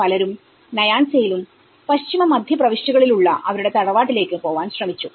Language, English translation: Malayalam, Many sought to move to their ancestral homes in Nyanza, Western and Central Provinces